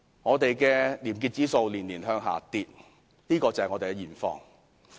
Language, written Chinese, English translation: Cantonese, 本港的廉潔指數年年下跌，這就是我們的現況。, Hong Kongs ranking in the probity index is dropping every year . This is the prevailing situation here